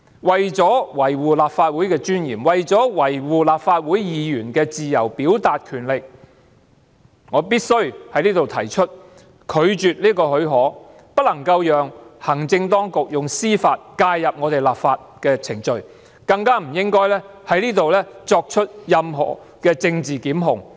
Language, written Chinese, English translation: Cantonese, 為了維護立法會的尊嚴，為了維護立法會議員自由表達的權力，我必須在此提出拒絕給予這項許可，不能讓行政當局以司法方式介入我們立法的程序，更不應在此作出任何政治檢控。, In order to uphold the dignity of the Legislative Council and in order to safeguard the right to freedom of expression of Members of the Legislative Council I must propose that the leave be refused . We cannot let the executive authorities intervene into our legislative proceedings through a judicial process . More importantly we should not allow political prosecutions to be instituted